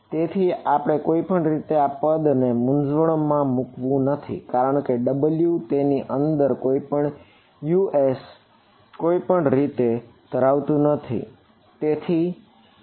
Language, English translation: Gujarati, So, anyway this W f x term does not bother us, because W it does not contain any us inside it in anyway right